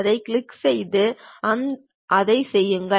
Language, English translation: Tamil, Click that, do that